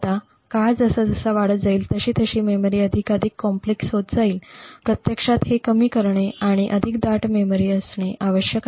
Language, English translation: Marathi, Now as time progressed and memories became more and more complex it was required to actually scale down and have more dense memories